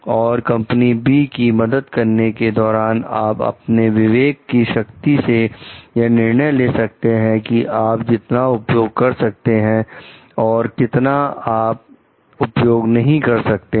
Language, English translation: Hindi, And while helping company B, you can use your that power of discretion to like how much of that we can use and how much of the thing we cannot use